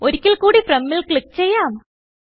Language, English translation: Malayalam, Lets click on From once again